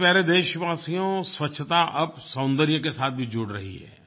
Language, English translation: Hindi, My dear countrymen, cleanliness is also getting associated with beauty